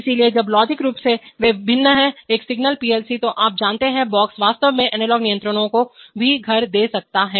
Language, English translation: Hindi, So while logically they are different physically speaking one single PLC, you know, box can house even analog controllers in fact they do